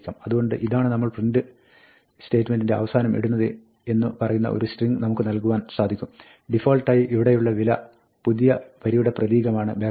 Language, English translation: Malayalam, So, we can provide a string saying, this is what should we put at the end of the print statement; by default, the value here is this new line character